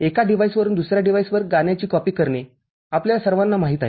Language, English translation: Marathi, All of us are familiar with you know copying a song from one device to another device